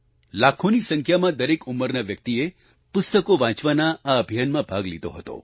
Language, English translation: Gujarati, Participants hailing from every age group in lakhs, participated in this campaign to read books